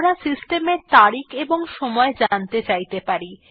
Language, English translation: Bengali, We may be interested in knowing the system date and time